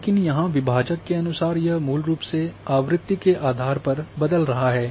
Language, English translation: Hindi, But here in quantile this is changing depending on basically the frequency